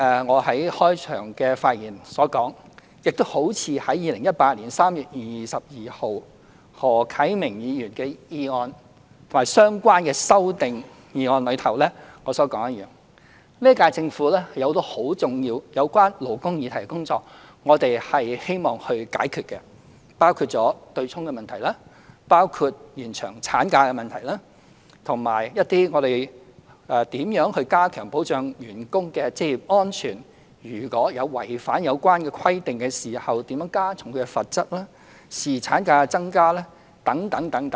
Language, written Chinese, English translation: Cantonese, 我在開場發言時表示，我在2018年3月22日回應何啟明議員提出的議案及相關修正案時曾指出，本屆政府有多項有關勞工議題的重要工作希望處理，包括取消強制性公積金對沖的問題、延長產假、為加強保障僱員的職業安全而檢討違反有關規定時如何加重罰則，以及增加侍產假等。, As I said in my opening remarks on 22 March 2018 when I responded to the motion moved by Mr HO Kai - ming and the amendments thereto I said that the current - term Government hoped to deal with some important tasks of labour issues including abolishing the offsetting arrangement under the Mandatory Provident Fund MPF System; extending the duration of maternity leave; reviewing ways to increase the penalty levels for non - compliance of requirements to strengthen the protection of occupational safety for employees and increasing the number of paternity days etc